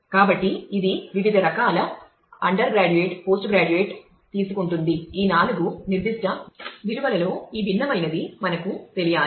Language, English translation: Telugu, So, which can take different types of undergraduate post graduate these different one of these four specific values let us say